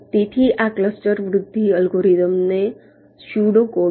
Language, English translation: Gujarati, so this is the pseudo code for the cluster growth algorithm